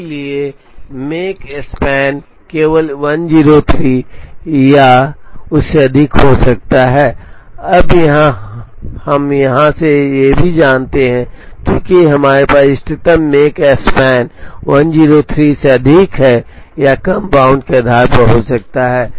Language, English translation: Hindi, So, the make span can only be 103 or more, now we also know from here that since we have the optimum make span can be 103 or more based on the lower bound